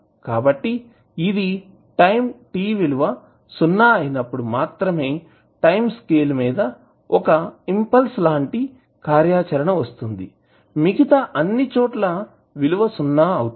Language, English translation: Telugu, So, you will see that it have only 1 impulse kind of activity in the time scale at t is equal to 0 otherwise its value is 0